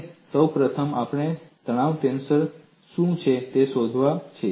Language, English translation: Gujarati, And first of all, we have to find out what is the stress tensor